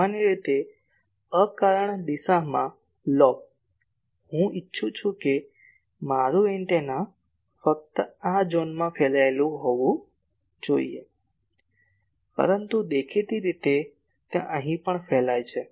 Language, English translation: Gujarati, Generally, the lobe in an unintended direction, I want that my antenna should radiate only in these zone , but obviously, it is also radiating here